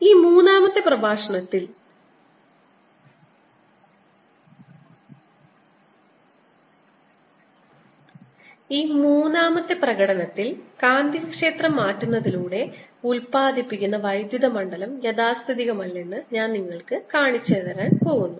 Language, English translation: Malayalam, in this third demonstration i am going to show you that the electric field that is produced by changing magnetic field is non conservative